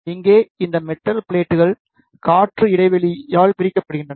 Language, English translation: Tamil, Here these metal plates are separated by air gap